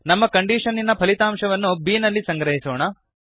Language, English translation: Kannada, We shall store the result of our condition in b